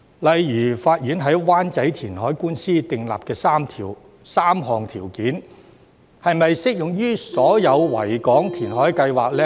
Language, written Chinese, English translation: Cantonese, 例如，法院在灣仔填海官司訂立的3項條件，是否適用於所有維港填海計劃呢？, For instance are the three criteria laid down by the court regarding the Wan Chai reclamation case applicable to all Victoria Harbour reclamation projects?